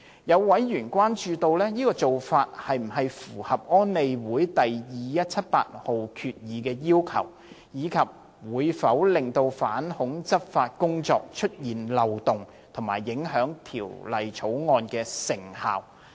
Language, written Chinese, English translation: Cantonese, 有委員關注，這種做法是否符合安理會第2178號決議的要求，以及會否令反恐執法工作出現漏洞，以及影響《條例草案》的成效。, Some members have expressed concern whether the prohibition would contravene the requirements of Resolution 2178 of UNSC UNSCR 2178 and whether it would create loopholes in anti - terrorism work and impact on the effectiveness of the Bill